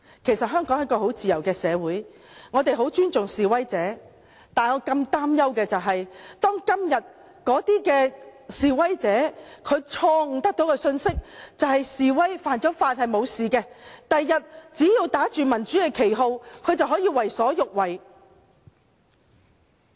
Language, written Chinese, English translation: Cantonese, 其實香港是一個很自由的社會，我們很尊重示威者，但我更擔憂的是，假如今天的示威者得到即使犯法也不會有後果的錯誤信息，他們日後只要打着民主旗號便可為所欲為。, Actually Hong Kong is a very free society and I greatly respect demonstrators but I am worried that if demonstrators nowadays receive a wrong message that breaking the law brings no consequences they will act as they like as long as they are flaunting the banner of democracy